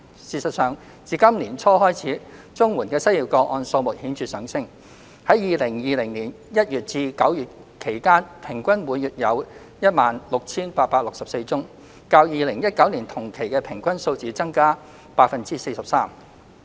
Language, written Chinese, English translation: Cantonese, 事實上，自今年年初開始，綜援的失業個案數目顯著上升，在2020年1月至9月期間平均每月有 16,864 宗，較2019年同期的平均數字增加 43%。, In fact there has been a significant increase in CSSA unemployment cases starting from the beginning of this year with an average of 16 864 cases per month from January to September 2020 which was 43 % higher than the average of the same period in 2019